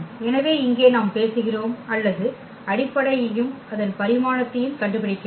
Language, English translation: Tamil, So, here we are talking about or finding the basis and its dimension